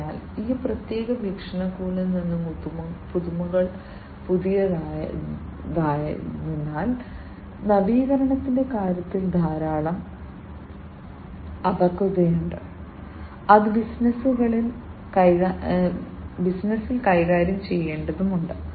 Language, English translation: Malayalam, So, from that particular perspective, because the innovations are new, there is lot of immaturity in terms of innovation, that has to be dealt with in the businesses, in the business